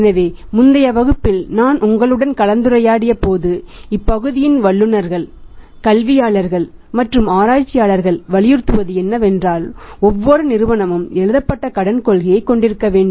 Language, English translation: Tamil, So, as I was discussing with you in the previous class that people are experts in the area many say academicians also research is also have emphasised up on that firms should every firm should have the written credit policy